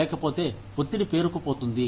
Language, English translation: Telugu, Otherwise, the stress accumulates